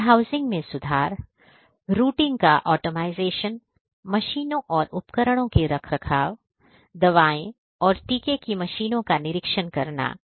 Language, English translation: Hindi, Improving warehousing, Optimizing routing, Maintenance of machines and equipment, Inspecting the machines of medicines and vaccines